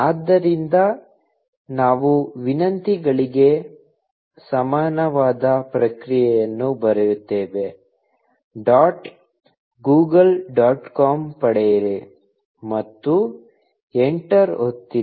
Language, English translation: Kannada, So, we write response equal to requests dot get Google dot com, and press enter